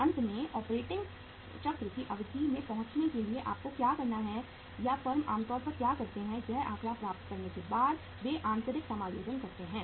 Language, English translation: Hindi, For finally arriving at the duration of the operating cycle what you have to do is or what the firms normally do is they make the internal adjustments after getting this figure